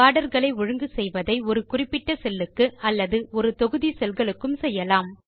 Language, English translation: Tamil, Formatting of borders can be done on a particular cell or a block of cells